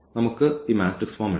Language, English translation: Malayalam, So, let us put in this matrix form